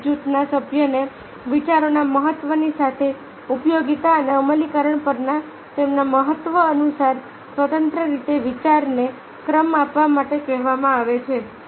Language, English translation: Gujarati, each group member is ask to rank the ideas independently according to their importance on usefulness, usefulness and implementation, along with the importance of the ideas